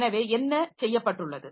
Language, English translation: Tamil, So, that can be done